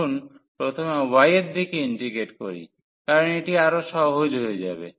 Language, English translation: Bengali, So, let us integrate first in the direction of y because that will be easier